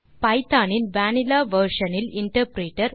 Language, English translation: Tamil, But this time let us try it in the vanilla version of Python interpreter